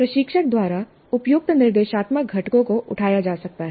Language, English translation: Hindi, Suitable instructional components can be picked up by the instructor